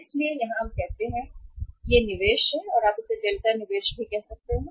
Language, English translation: Hindi, So here it is we we say that this is the investment or you can call as delta investment